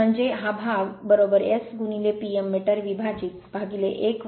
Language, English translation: Marathi, That means this part is equal to S into P m divided by 1 minus S right